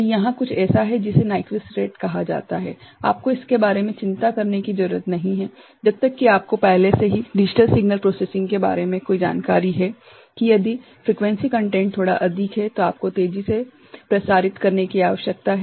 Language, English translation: Hindi, So, there is something called Nyquist rate you need not worry about it unless you already have an exposure about digital signal processing that the if frequency content is a bit higher side, then you need to circulate faster